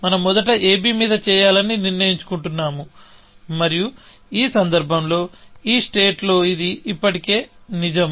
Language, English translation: Telugu, We decided to do on a b first, and in this case, it was already true in this state